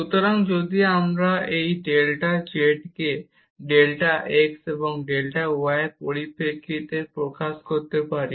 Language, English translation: Bengali, So, this x y will be replaced simply by delta x and delta y terms